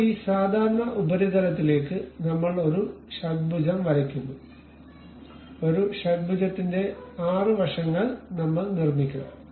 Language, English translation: Malayalam, Now, on this normal to surface we draw a hexagon, a hexagon 6 sides we will construct it